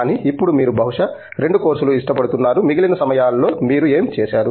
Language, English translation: Telugu, But, now you probably doing like about 2 courses, what you do with the rest of the time